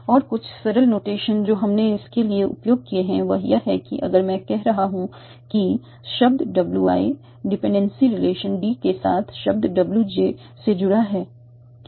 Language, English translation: Hindi, And some simple notations that we use for this is that if I am saying that word WI is connected to word WJ with the dependent installation D, I can use this arc